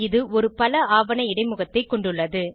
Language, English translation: Tamil, It has a multiple document interface